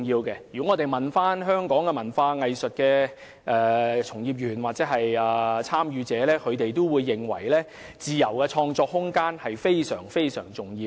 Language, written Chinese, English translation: Cantonese, 如果大家詢問香港的文化藝術從業員或參與者，他們均會認為自由創作空間非常重要。, If Members ask cultural and arts practitioners or participants in Hong Kong they will reply with the view that room for free creative pursuits is very important